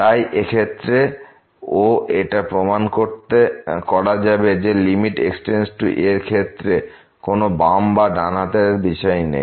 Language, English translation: Bengali, So, in this case also one can easily prove that limit goes to a now there is no left or right concept here